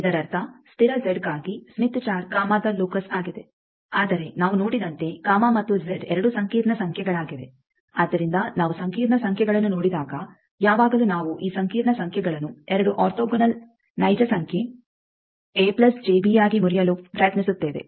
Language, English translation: Kannada, That means, smith chart is the locus of gamma for constant Z, but as we have seen gamma and Z both are complex numbers so there will be generally we break whenever we come across complex numbers always we try to break these complex numbers into two orthogonal real numbers a plus j b